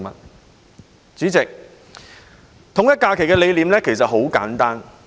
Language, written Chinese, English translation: Cantonese, 代理主席，統一假期的理念其實很簡單。, Deputy President the concept of alignment of holidays is actually very simple